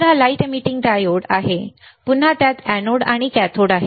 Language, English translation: Marathi, So, this is light emitting diode, again it has an anode and a cathode